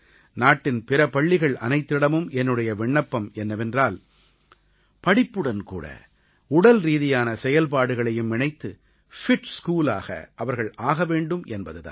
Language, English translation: Tamil, I urge the rest of the schools in the country to integrate physical activity and sports with education and ensure that they become a 'fit school'